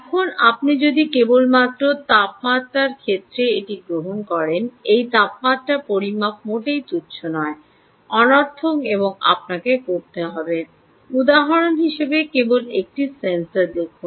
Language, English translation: Bengali, now, if you just take this case of temperature right, this temperature measurement is not at all trivial, nontrivial, ok, and you have to see just one sensor as an example